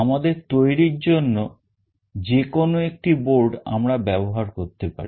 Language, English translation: Bengali, We can use any one of the boards for our development